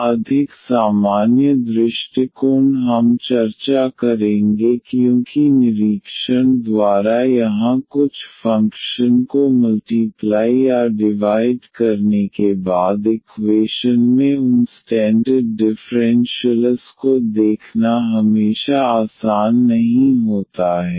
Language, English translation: Hindi, Slightly more general approach we will discuss because here by inspection it is not always easy to see the those standard differentials in the equation after multiplying or dividing by some functions